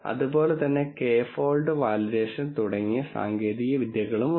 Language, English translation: Malayalam, There are techniques such as k fold validation and so on